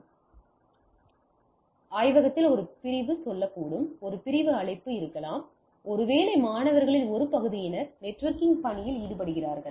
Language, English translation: Tamil, So, that may be a section say in the lab there is a section call maybe a one part of the students are working on assignment on networking